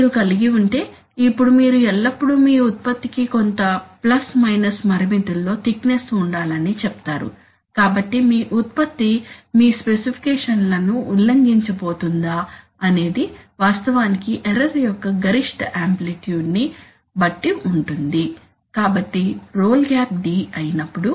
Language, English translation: Telugu, So if you have, now you always state that your product is going to have a thickness within some plus minus limits, so whether your product is going to violate your specifications actually depends on the maximum that is the maximum amplitude of the error, so if the role gap is supposed to be d